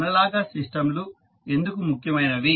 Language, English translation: Telugu, So, why the analogous system is important